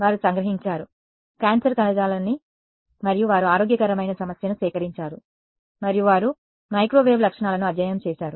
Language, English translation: Telugu, They have extracted cancerous tissue and they have extracted healthy issue and they have studied the microwave properties